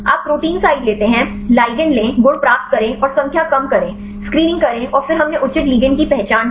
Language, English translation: Hindi, You take the protein site; take the ligand, get the properties and reduce the number do the screening and then we identified the proper ligands